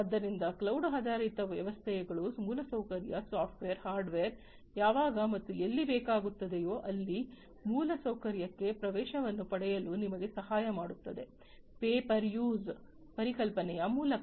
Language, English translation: Kannada, So, cloud based systems will help you to get access to the infrastructure that computing infrastructure, the software, hardware etc, whenever and wherever it is going to be required, in a much more easier way, through the pay per use concept